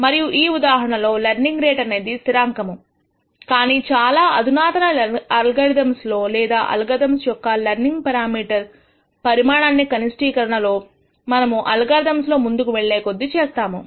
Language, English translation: Telugu, And in this case the learning rate remains constant, but in more sophisticated algorithms or algorithms where you could actually optimize the size of this learning parameter as we go along in the algorithm